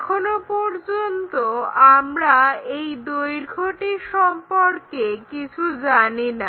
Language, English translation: Bengali, As of now we do not know what is that length